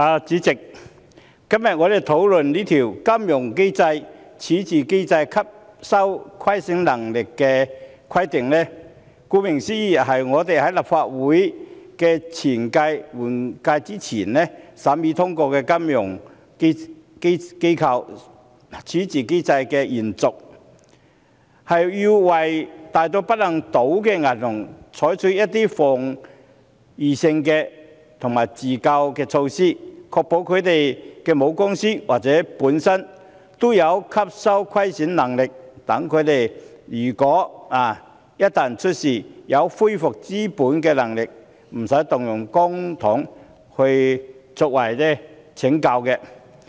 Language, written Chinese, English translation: Cantonese, 主席，我們今天辯論的《金融機構規則》，顧名思義，是我們在立法會換屆前審議通過的《金融機構條例》的延續，要為大到不能倒的銀行採取一些防禦性的自救措施，確保它們的母公司或本身也有吸收虧損能力，即使它們一旦出事，也有恢復資本的能力，無須動用公帑拯救。, President the Financial Institutions Resolution Rules the Rules under debate today as you can tell from the name is a continuation of the Financial Institutions Resolution Ordinance that we scrutinized and passed in the previous Legislative Council . It seeks to lay down precautionary and self - rescue measures for large banks that are too big to fail and to ensure that their parent companies or they themselves have loss - absorbing capacity ie . LAC and re - capitalization ability in times of financial crises so as to save the need to bail them out with public money